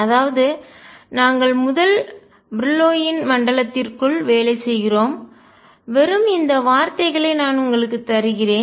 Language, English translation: Tamil, So, we work within the first Brillouin zone, I am just giving you these words